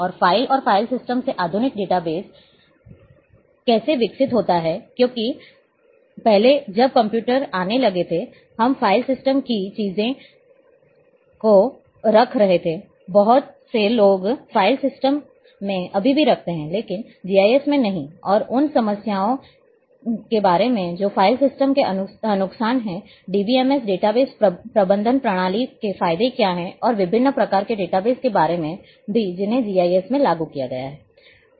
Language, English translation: Hindi, And how modern database is evolved from files and file systems because, earlier systems when computer started coming we were keeping things in file systems still many people keeps in file system, but not in GIS and about flaws what are the disadvantages demerits of file system, what are the advantages of DBMS data base management system and also about different types of databases, which have been implemented into GIS